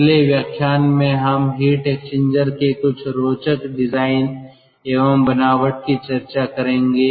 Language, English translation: Hindi, in our next lecture we will find some other interesting designs and construction of heat exchanger